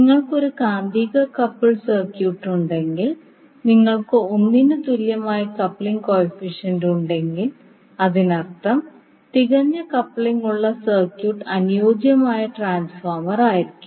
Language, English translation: Malayalam, So it means that if you have the magnetically coupled circuit and you have the coupling coefficient equal to one that means the circuit which has perfect coupling will be the ideal transformer